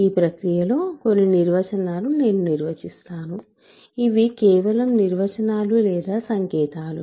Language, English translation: Telugu, So, in this process, let me define give some definitions so, these are just definitions or notations